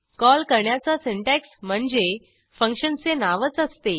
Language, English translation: Marathi, The syntax is the function name itself